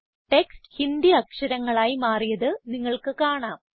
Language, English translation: Malayalam, You can see the text has changed to Hindi Inscript